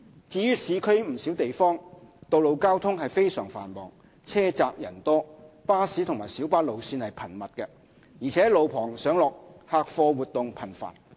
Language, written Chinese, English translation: Cantonese, 至於市區不少地方，道路交通非常繁忙，路窄人多，巴士及小巴路線頻密，而且路旁上落客貨活動頻繁。, For many places in the urban areas road traffic is very heavy with narrow and crowded roads and with numerous bus and minibus routes and frequent on - street loading and unloading activities